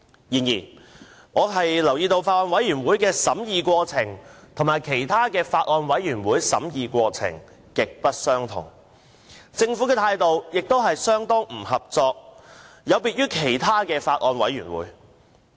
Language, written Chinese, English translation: Cantonese, 然而，我留意到，法案委員會的審議過程有別於其他法案委員會，而政府的態度亦相當不合作，有別於它在其他法案委員會的表現。, However I have noticed that the deliberation process of the Bills Committee is different from that of other Bills Committees and the Government has been quite uncooperative a contrast to its attitude towards other Bills Committees